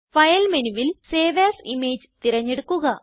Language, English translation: Malayalam, Go to File menu, select Save as image